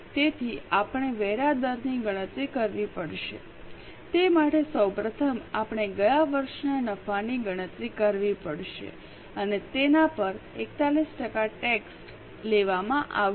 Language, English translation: Gujarati, For that, first of all, we will have to calculate the profit of the last year and on that 41% tax is charged